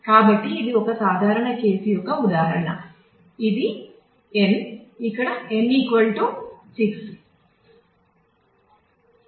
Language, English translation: Telugu, So, this is an example of a simple case which is n where n is equal to 6